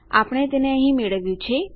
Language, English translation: Gujarati, We got it here